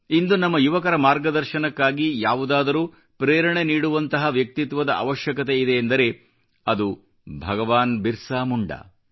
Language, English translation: Kannada, Today, if an inspiring personality is required for ably guiding our youth, it certainly is that of BhagwanBirsaMunda